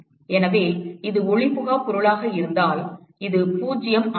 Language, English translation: Tamil, So, if it is opaque object, this is 0